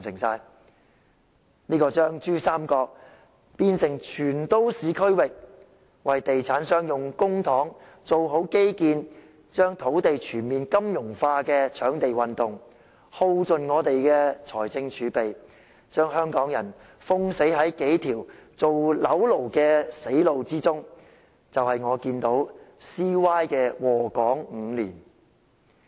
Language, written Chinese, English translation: Cantonese, 這個把珠三角變成全都市區域、為地產商用公帑做好基建、把土地全面金融化的"搶地運動"，耗盡本港的財政儲備，把香港人封死在數條做"樓奴"的死路之中，就是我看到 CY 禍港5年的結果。, Such a land scramble campaign―one that has turned the Pearl River Delta into a completely urbanized region completed infrastructure for real estate developers using public funds and achieved the total financialization of land―has fully depleted the fiscal reserves of Hong Kong and trapped Hong Kong people in a few dead ends of living as property slaves . These are the disastrous results I saw of Hong Kong after being molested by CY for five years